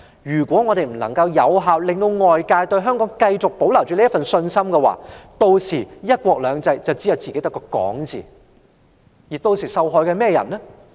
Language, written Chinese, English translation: Cantonese, 如果我們不能夠有效地令外界對香港繼續抱有信心，"一國兩制"只會是我們自己說的空話。, If we cannot effectively convince the rest of the world to keep on having confidence in Hong Kong one country two systems will only be empty talk